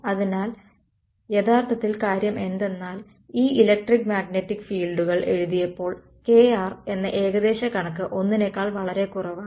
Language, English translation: Malayalam, So, actually the thing is that when we wrote down these electric and magnetic fields we made the approximation kr much much less than 1